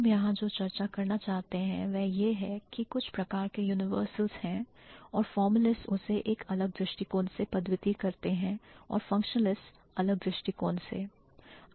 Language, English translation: Hindi, What we want to discuss over here is that there are certain types of universals and the formulas, and the formulas approach it from a different angle and the functionalist approach it from a different angle